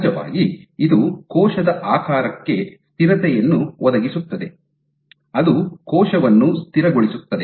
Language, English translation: Kannada, Of course, it provides stability to cell shape, it stabilizes the cell